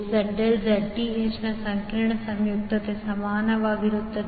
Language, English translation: Kannada, ZL will be equal to complex conjugate of Zth